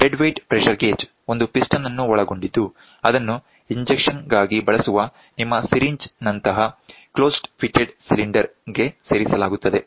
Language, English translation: Kannada, The dead weight pressure gauge comprises a piston that is inserted into a closed fitted cylinder like your syringe, which you use for injection